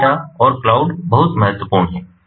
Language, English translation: Hindi, big data and cloud are very important